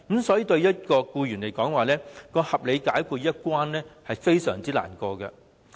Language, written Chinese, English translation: Cantonese, 所以，對僱員來說，"不合理解僱"這一關卡很難跨越。, Thus it is very difficult for employees to meet the criterion of unreasonable dismissal